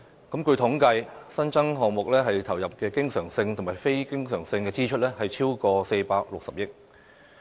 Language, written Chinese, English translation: Cantonese, 據統計，新增項目投入的經常性及非經常性支出，超過460億元。, According to statistics the recurrent and non - recurrent expenditure on new projects will exceed 46 billion